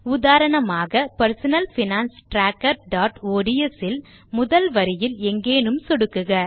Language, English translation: Tamil, For example in our personal finance tracker.ods file lets click somewhere on the first row